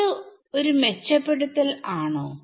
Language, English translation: Malayalam, So, is that an improvement